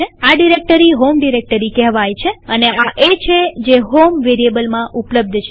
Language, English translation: Gujarati, This directory is called the home directory and this is exactly what is available in HOME variable